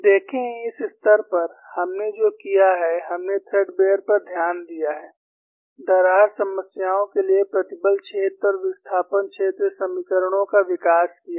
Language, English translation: Hindi, See, at this stage, what we have done is, we have looked at threadbare, the development of stress field and displacement field equations for crack problems